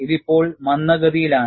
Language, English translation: Malayalam, It is now retarded